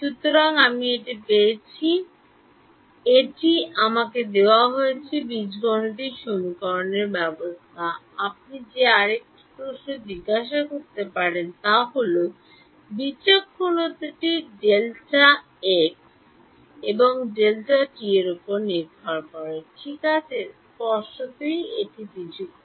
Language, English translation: Bengali, So, I have got this I got this discretization which is given me system of algebraic equation, another question that you can ask is this discretization depends on delta x and delta t right; obviously, that is the discrete